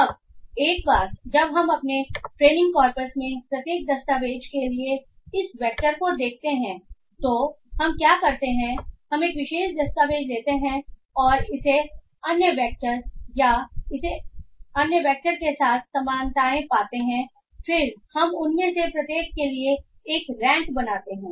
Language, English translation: Hindi, Now once we have this vector for each of the document in our training corpus what we do is that we take a particular document and we find its similarities with other vectors or other documents and we then form a rank for each of them